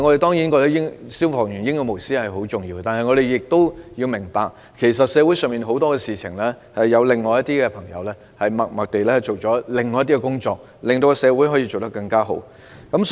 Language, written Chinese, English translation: Cantonese, 當然，我們亦認同消防員英勇無私的行為十分重要，但我們也要明白，社會上有很多事情是因為有另一些人默默地做了一些工作才得以順利完成。, Of course we also recognize that the brave and selfless acts of fire fighters also played a very important part . But we should also understand that many tasks in society can be accomplished very smoothly only with certain unsung deeds of others